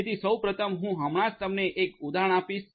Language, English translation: Gujarati, So, first of all I will I am just going to give you an example